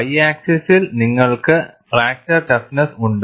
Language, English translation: Malayalam, On the y axis, you have the failure stress